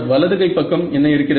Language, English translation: Tamil, Sir, what is the right hand side in the